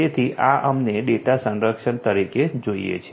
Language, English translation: Gujarati, So, this we need as data protection right